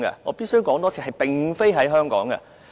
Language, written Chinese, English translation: Cantonese, 我必須重申，是並非在香港。, I must reiterate not in Hong Kong